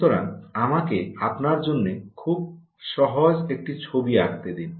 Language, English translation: Bengali, so let me just put down a very simple picture for you